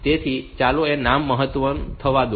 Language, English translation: Gujarati, So, let the name be max